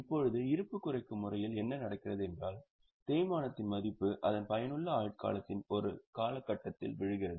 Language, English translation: Tamil, Now, in reducing balance what happens is the value of depreciation falls over a period of its useful life